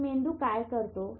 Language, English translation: Marathi, So this is what the brain is